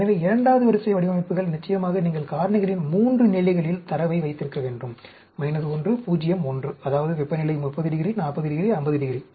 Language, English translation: Tamil, So, the second order designs, of course, you have to have the data at 3 levels of the factors, minus 1, 0, 1; that means, temperature at 30 degrees, 40 degrees, 50 degrees